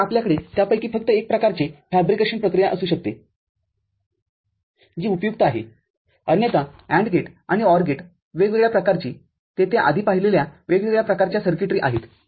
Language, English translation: Marathi, So, you can have only one variety of it one kind of fabrication process which is useful – otherwise, for AND gate and OR gate to different variety there are different kind of circuitry that we have seen before